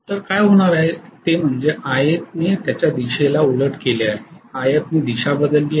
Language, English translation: Marathi, So what is going to happen is IA has reversed its direction, IF has not reversed its direction